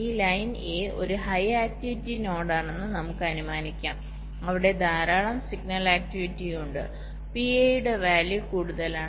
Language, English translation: Malayalam, lets assume that this line a is a high activity node, where there is lot of signal activities, the value of p a is higher